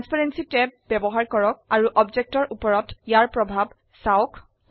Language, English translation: Assamese, Use the Transparency tab and see its effects on the objects